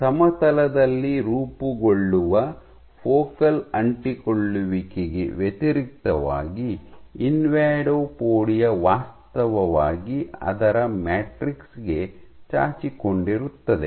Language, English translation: Kannada, So, in contrast to focal adhesions which are formed on the plane, an invadopodia actually protrudes into its matrix